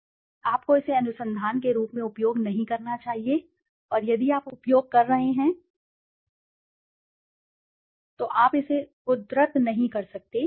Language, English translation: Hindi, You should not be using as it as a research and if you are using, you cannot cite it